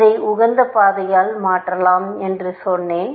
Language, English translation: Tamil, I said I could replace this by the optimal path